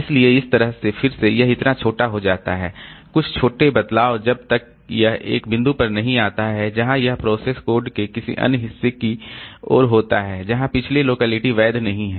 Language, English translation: Hindi, So, that way again so it shows some small variations till it comes to a point where this program has traversed to another region of code where the previous locality is no more valid